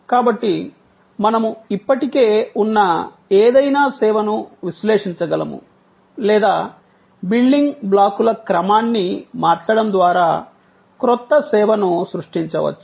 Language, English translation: Telugu, So, that we can analyze any existing service or we can create a new service by rearranging the building blocks